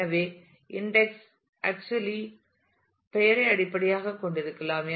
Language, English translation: Tamil, So, if the index is actually based on the name